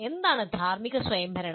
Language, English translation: Malayalam, What is moral autonomy